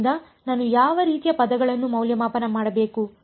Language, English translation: Kannada, So, what kind of terms do I have to evaluate